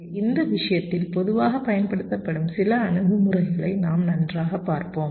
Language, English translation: Tamil, so we shall be looking at some of the quite commonly used approaches in this regard